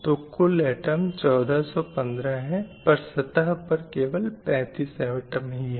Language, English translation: Hindi, So total number of atom is 1,415 atoms